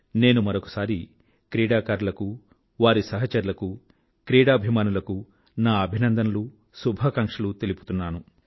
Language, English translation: Telugu, I extend my congratulations and good wishes to all the players, their colleagues, and all the sports lovers once again